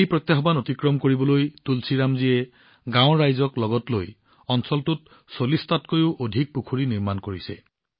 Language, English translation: Assamese, To overcome this challenge, Tulsiram ji has built more than 40 ponds in the area, taking the people of the village along with him